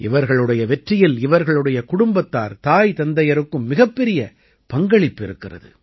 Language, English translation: Tamil, In their success, their family, and parents too, have had a big role to play